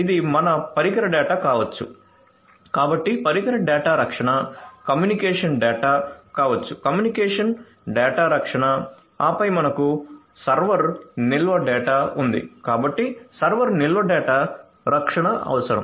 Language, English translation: Telugu, So it can be your device data, so device data protection communication data, so communication data protection and then we have the server storage data, so server storage data protection